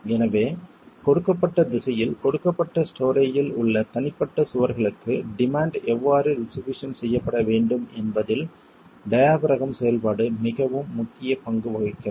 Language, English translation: Tamil, So, the diaphragm action has a very crucial role in how the demand is going to be distributed to the individual walls in a given story in a given direction